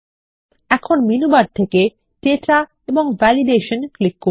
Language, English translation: Bengali, Now, from the Menu bar, click Data and Validity